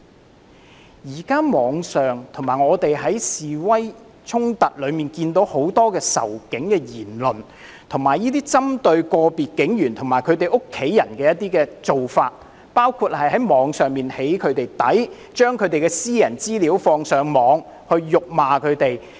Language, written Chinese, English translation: Cantonese, 我們在網上及示威衝突中均看到很多仇警的言論，以及針對個別警員及其家人的做法，包括在網上對警務人員"起底"、把他們的私人資料放上網及辱罵他們。, We have seen on the Internet and in demonstrations and clashes many remarks of animosity towards the Police as well as actions targeting individual police officers and their families including online doxing of police officers disclosure of their personal information online and verbal abuse against them